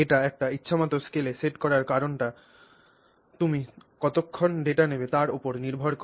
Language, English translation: Bengali, The reason it is set as at an arbitrary scale is simply because it is based on how long you take the data, okay